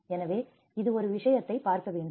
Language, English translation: Tamil, So, this is one thing one has to look at